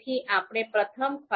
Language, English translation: Gujarati, So, we will go to this particular file car2